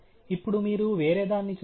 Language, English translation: Telugu, Now, you see something different